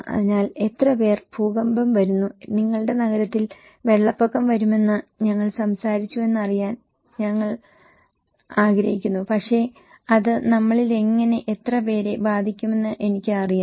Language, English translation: Malayalam, So, how many people, we will want to know that we were talking that earthquake is coming, flood is coming in your cities but I want to know that how and how many of us will be affected by that